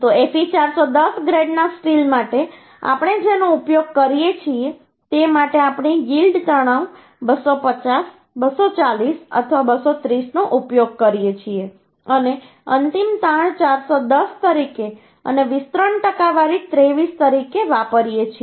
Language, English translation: Gujarati, So for Fe 410 grade of steel, what we use, we use yield stress either 250, 240 or 230 and ultimate stress as 410 and elongation percentage as 23